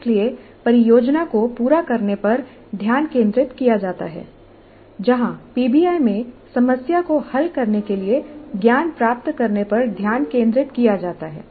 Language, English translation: Hindi, So the focus is on completion of a project whereas in PBI the focus is on acquiring knowledge to solve the problem